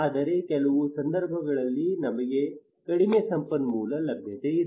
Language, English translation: Kannada, But some cases right we have less resource availability